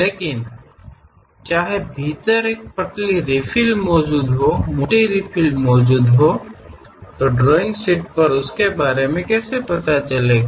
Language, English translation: Hindi, But whether inside, a thin refill is present, thick refill is present; how to know about that on the drawing sheet